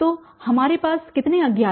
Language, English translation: Hindi, So, how many unknowns do we have